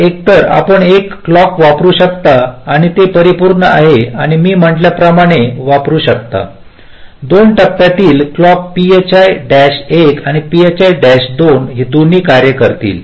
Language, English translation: Marathi, so either you can use a clock and its complements or you can use, as i said, two phase clock, phi one and phi two